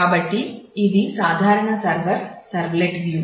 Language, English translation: Telugu, So, this is the typical server servlet view